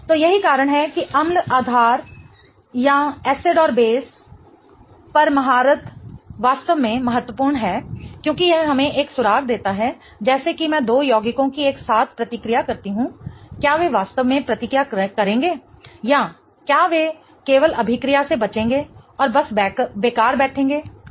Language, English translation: Hindi, So, that's why acids and basis or the mastery over acids and basis is really important because it gives us a clue as to if I react to compounds together, will they really react or will they just avoid reaction and just sit idle, right